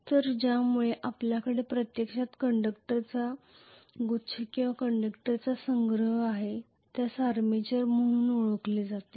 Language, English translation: Marathi, So because of which we are going to actually have a bouquet of conductors or a collection of a conductors, which is known as armature